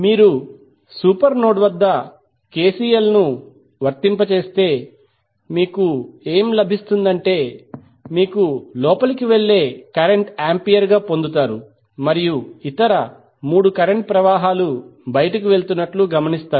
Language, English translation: Telugu, So if you apply KCL at the super node, so what you get, you get ampere as a current going inside and other 3 currents are going out